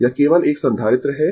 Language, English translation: Hindi, It is a capacitor only